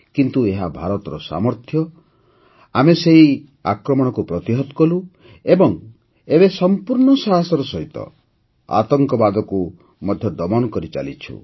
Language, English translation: Odia, But it is India's fortitude that made us surmount the ordeal; we are now quelling terror with full ardor